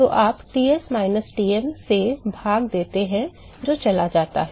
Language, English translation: Hindi, So, you divide by Ts minus Tm that goes away